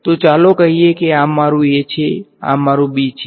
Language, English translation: Gujarati, So, let us say this is my a, this my b ok